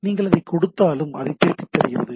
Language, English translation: Tamil, And whatever you give it gives you a return it back